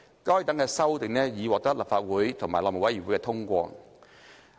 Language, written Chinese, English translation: Cantonese, 該等修訂已獲立法會和內務委員會通過。, These amendments were endorsed by the Council and the House Committee